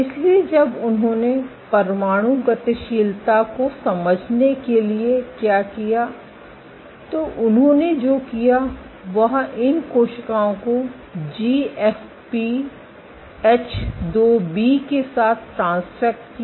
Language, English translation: Hindi, So, when what they did why for understanding nuclear dynamics, what they did was they transfected these cells with GFP H2B